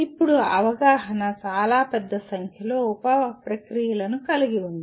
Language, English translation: Telugu, Now understanding has fairly large number of sub processes involved in understanding